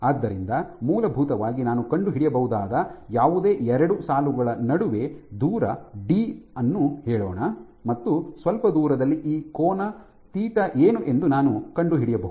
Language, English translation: Kannada, So, essentially what I can find out is between any 2 lines let say this and a distance d apart and some distance apart I can find out what is this angle theta